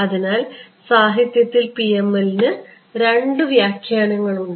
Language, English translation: Malayalam, So, there are two interpretations of PML in the literature ok